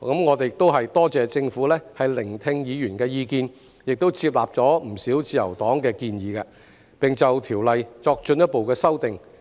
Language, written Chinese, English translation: Cantonese, 我多謝政府聆聽議員的意見，亦接納了自由黨的不少建議，並就《條例草案》作進一步修訂。, I thank the Government for listening to Members views taking on board a number of suggestions made by the Liberal Party and introducing further amendments to the Bill